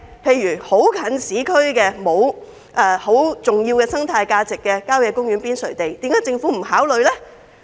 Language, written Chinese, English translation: Cantonese, 例如，一些很接近市區，沒有太重要生態價值的郊野公園邊陲用地，為何政府不予考慮？, For example why does the Government not consider lands on the periphery of country parks that are in close proximity to the urban area but are not very ecologically important?